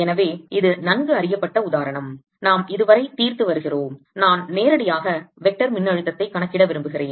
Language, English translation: Tamil, so this is the well known example we've been solving so far, and i want to calculate for the vector potential directly